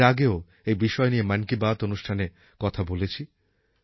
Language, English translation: Bengali, I have already mentioned this in the previous sessions of Mann Ki Baat